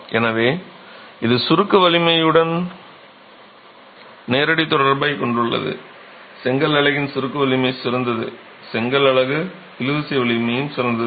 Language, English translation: Tamil, So, it has a direct correlation with the compressive strength, better the compressive strength of the brick unit, better is going to be the tensile strength of the brick unit